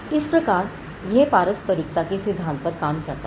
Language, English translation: Hindi, So, it worked on the principle of reciprocity